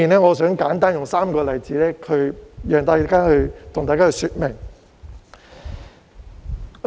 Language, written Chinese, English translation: Cantonese, 我想舉出3個簡單例子，向大家說明這兩點。, I would like to give three simple examples to illustrate these two points